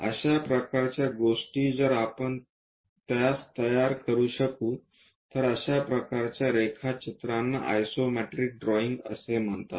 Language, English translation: Marathi, Such kind of things if we can construct it that kind of drawings are called isometric drawings